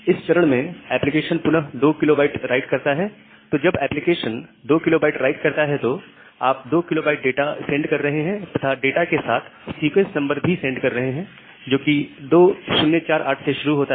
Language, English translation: Hindi, So, when the application does a 2 kB of write, you are sending 2 kB of data, further data along with the sequence number starting from 2048